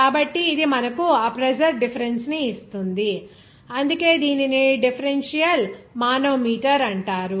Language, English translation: Telugu, So, it will give you that pressure difference, that is why it is called the differential manometer